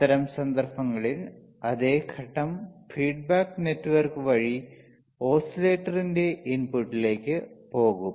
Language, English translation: Malayalam, In that case the same phase will go to the input of the oscillator through feedback network